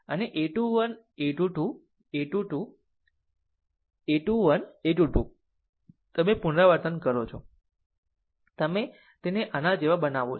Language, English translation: Gujarati, And a 2 1, a 2 2, a 2 3, a 2 1, a 2 2 you repeat, you make it like this